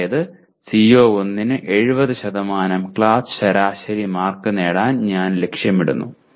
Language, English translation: Malayalam, That means I aim to get 70% class average marks for CO1